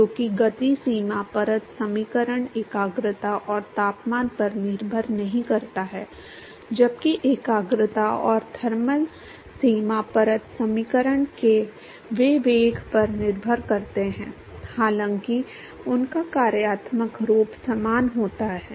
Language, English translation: Hindi, Because the momentum boundary layer equation does not depend upon the concentration and temperature, while the concentration and thermal boundary layer equation they depend upon the velocity, although their functional form is same